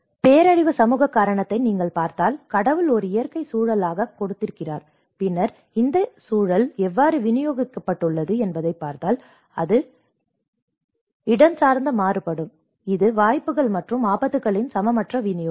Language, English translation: Tamil, If you look at the social causation of the disasters, God has given as a natural environment and then if you look at how this environment has been distributed, it is distributed, it is spatially varied; it is unequal distribution of opportunities and hazards